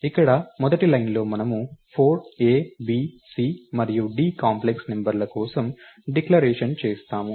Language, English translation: Telugu, in the first line here, we do declaration for 4 complex numbers a, b, c and d